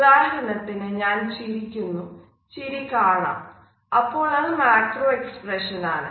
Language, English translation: Malayalam, For example, if I smile , it is a macro expression